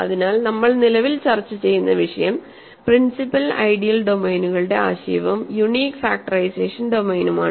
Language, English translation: Malayalam, So, the topic that we are currently discussing is the notion of principal ideal domains, and unique factorisation domain